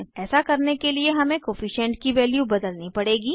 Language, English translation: Hindi, To do so, we have to change the Coefficient value